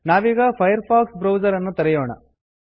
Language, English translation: Kannada, You will be prompted to restart the Firefox browser